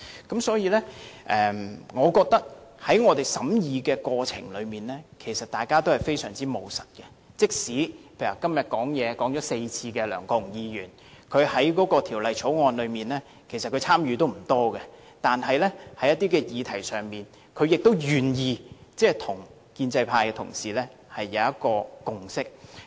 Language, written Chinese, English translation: Cantonese, 因此，我認為在我們的審議過程中，其實大家也非常務實，例如今天已發言4次的梁國雄議員，即使他對《條例草案》的參與並不多，但在一些議題上，他亦願意與建制派同事達成共識。, Judging from these I consider that we have actually been very pragmatic in the course of our scrutiny . Take Mr LEUNG Kwok - hung who has spoken for four times today as an example . Even though he does not have much involvement in the Bill he is prepared to reach a consensus with Members from the pro - establishment camp on certain issues